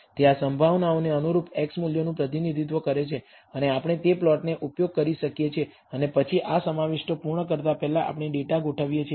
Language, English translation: Gujarati, Those represents the x values corresponding to these probabilities and we can use that plot it and then before completing this contents we have arranged the data